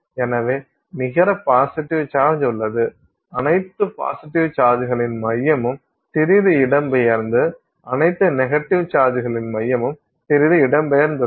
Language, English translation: Tamil, Therefore the net positive there is a net positive charge the center of all the positive charges put together is a little bit displaced and the center of all the negative charges is a little bit displaced